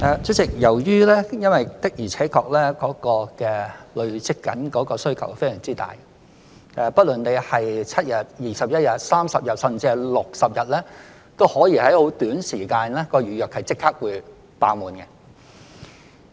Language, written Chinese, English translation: Cantonese, 主席，由於社會上的確累積了非常大的需求，不論是容許提前7日、21日、30日，甚至60日預訂，都可能在很短時間內預約立即"爆滿"。, President as it is true that the cumulative demand in the community is huge whether you allow 7 days 21 days 30 days or even 60 days in advance for reservation the places can still be fully reserved immediately after reservation is open